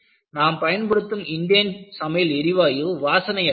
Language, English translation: Tamil, See, if you look at your Indane cooking gas, it is actually odorless